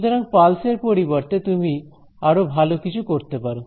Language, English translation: Bengali, So, instead of a pulse you can also do better you can do